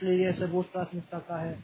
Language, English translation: Hindi, So, this is the current priority assignment